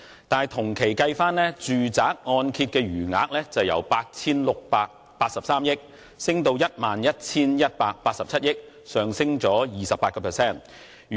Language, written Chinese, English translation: Cantonese, 但是，同期的住宅按揭未償還貸款餘額由 8,683 億元，上升至 11,187 億元，升幅為 28%。, However the amount of outstanding residential mortgage loans in the same period increased by 28 % from 868.3 billion to 1,118.7 billion